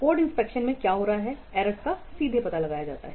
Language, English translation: Hindi, In code inspection what is happening the errors are directly detected